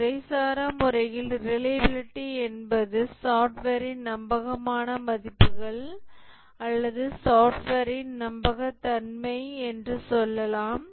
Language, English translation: Tamil, Informally, we can say that the reliability is basically the trustworthiness of the software or the dependability of the software